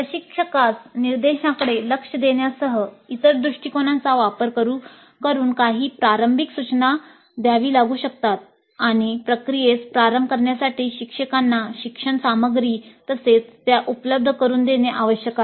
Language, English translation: Marathi, So, instructor may have to provide some initial instruction using other approaches including direct approach to instruction and the teacher has to provide the learning materials as well to kickstart the process